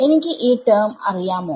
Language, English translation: Malayalam, Do I know this term